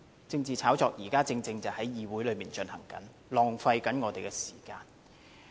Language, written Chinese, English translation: Cantonese, 政治炒作現正在議會內進行，浪費我們的時間。, The ongoing political hype in this Chamber has been wasting our time